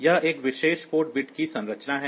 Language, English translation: Hindi, this the structure of a particular port bit